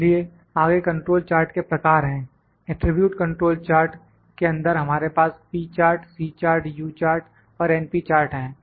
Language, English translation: Hindi, So, the next is types of control charts; in attribute control charts we have p chart, C chart, U chart and np chart